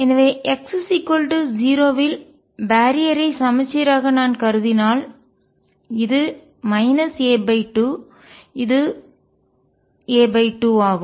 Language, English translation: Tamil, So, if I consider the barrier to be symmetric about x equals 0, this is minus a by 2 this is a by 2